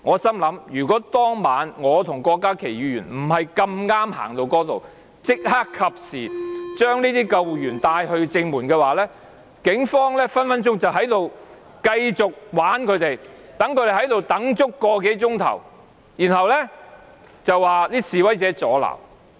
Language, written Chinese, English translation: Cantonese, 當晚若非我和郭家麒議員恰巧走到那裏及時帶救護員到正門，警方隨時繼續戲弄他們，讓他們等候個多小時，然後便說示威者阻撓。, Had Dr KWOK Ka - ki and I not been there by chance to lead the ambulancmen to the main gate at the right time the Police might have continued to fool them around let them wait an hour or so and claimed that the protesters had obstructed them